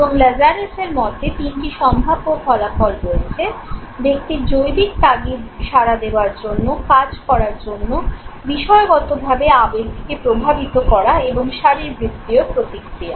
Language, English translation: Bengali, And according to Lazarus there are three possible outcomes, the biological urge of the individual to respond, to act, the subjective affect the emotion, and the physiological response